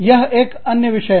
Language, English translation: Hindi, That is another one